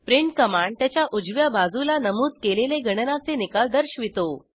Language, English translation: Marathi, print command displays the results of the calculation mentioned to its right side